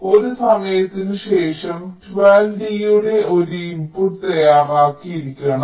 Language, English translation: Malayalam, so after a time twelve, this input of d should be ready